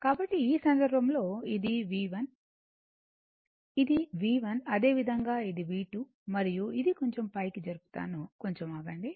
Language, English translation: Telugu, So, in this case your this is your V 1 , the this is your V 1 right similarly this is your V 2 and this is your, let me move little bit up, just, just hold on